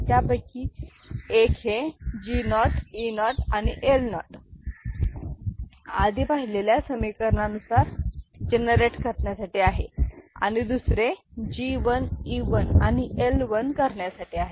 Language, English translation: Marathi, So, one is to generate G naught, E naught L naught by the same equation that we had done before and another is for G 1, E 1 and L 1